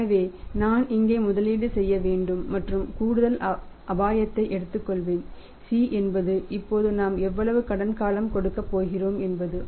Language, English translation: Tamil, So, I to make investment here and take the additional risk and c is excited period how much credit period now we are going to give